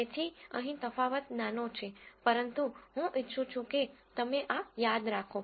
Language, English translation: Gujarati, So, the distinction here is subtle, but I want you to remember this